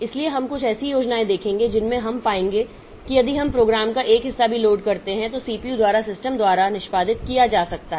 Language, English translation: Hindi, So, we will see some schemes in which we will find that even if we load a part of the program so they can be executed it can be executed by the system by the CPU